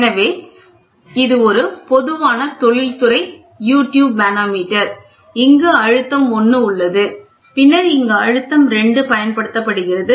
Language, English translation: Tamil, So, this is a typical industrial U tube manometer you have a pressure 1 and then you have a pressure 2 which is applied